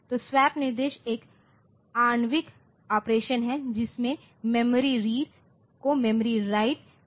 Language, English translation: Hindi, So, swap instruction is an atomic operation in which memory read is followed by a memory write